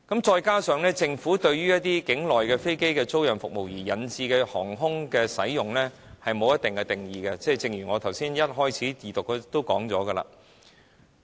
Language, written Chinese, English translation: Cantonese, 再加上政府對於境內飛機租賃服務對航空業引致的影響沒有定義，正如我在二讀辯論時提到的那樣。, Furthermore the Government has not assessed the effects of onshore aircraft leasing activities on the aviation sector as pointed out by me during the Second Reading debate